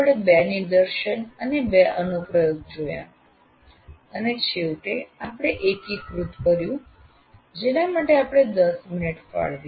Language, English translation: Gujarati, That is we had two demonstrations and two applications and finally we are integrating and we allocated about 10 minutes